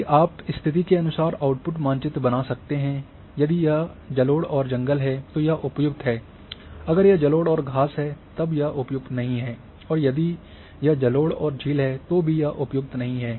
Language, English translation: Hindi, So, when you you can create output map which are say if this condition is like if it is alluvial and forest then it is suitable, if it is alluvial and grass not suitable, if it is alluvial and lake it is not suitable